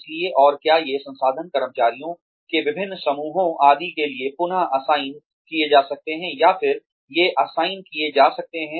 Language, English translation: Hindi, So, and whether these resources, can be reallocated, or re assigned, to various groups of employees, etcetera